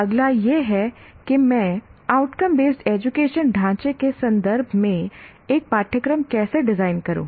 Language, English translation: Hindi, The next one is how do I design a course in the context of outcome based education framework